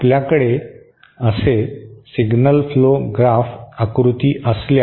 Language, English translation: Marathi, If you have a signal flow graph diagram like this